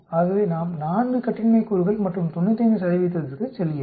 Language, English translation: Tamil, So we go to 4 degrees of freedom and 95 percent